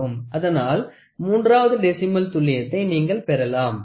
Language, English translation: Tamil, So, you see to that third decimal accuracy you can build